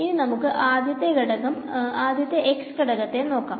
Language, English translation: Malayalam, So, let us just look at the x component first ok